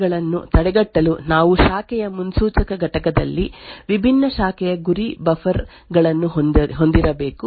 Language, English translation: Kannada, In order to prevent variant 2 attacks we need to have different branch target buffers present in the branch predictor unit